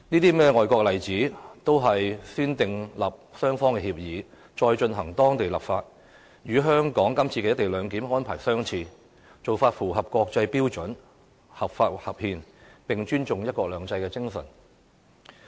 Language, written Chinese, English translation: Cantonese, 這些外國例子，都是先訂立雙方協議，再進行當地立法，與香港今次的"一地兩檢"安排相似，做法符合國際標準，合法合憲，亦尊重"一國兩制"精神。, In these examples of overseas countries a mutual agreement was signed by both sides to be followed by enactment of local legislation . This practice is very similar to the co - location arrangement adopted in Hong Kong . The co - location arrangement complies with international standards is lawful and constitutional and respects the spirit of one country two systems